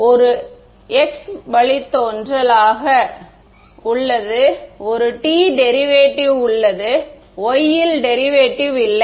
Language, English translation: Tamil, So, there is a x derivative, there is a t derivative, there is no y derivative correct